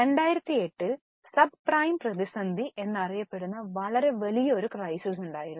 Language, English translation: Malayalam, There was a very big crisis in 2008 known as subprime crisis